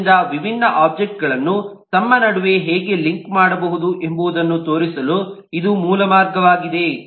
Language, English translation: Kannada, so this is the basic way to show how different objects can be linked between themselves